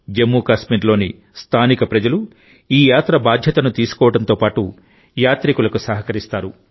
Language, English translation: Telugu, The local people of Jammu Kashmir take the responsibility of this Yatra with equal reverence, and cooperate with the pilgrims